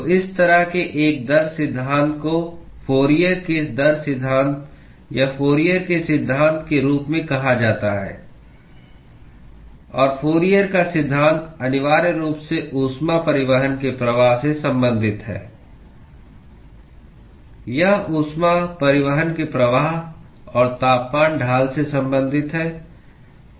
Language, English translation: Hindi, So, such a rate law is what is called as the Fourier’s rate law or Fourier’s law and the Fourier’s law essentially relates the flux of heat transport it relates the flux of heat transport and the temperature gradient